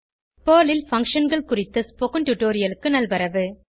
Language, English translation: Tamil, Welcome to the spoken tutorial on Functions in Perl